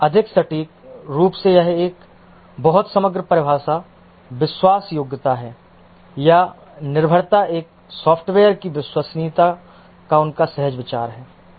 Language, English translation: Hindi, More accurately, this is a very overall definition, trustworthiness or dependability, is the intuitive idea of the reliability of a software